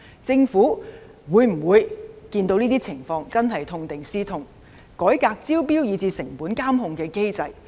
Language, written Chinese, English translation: Cantonese, 政府看到這些情況會否痛定思痛，改革招標及成本監控機制？, Will the Government learn from these bitter experiences and try to reform the tendering and cost monitoring mechanism?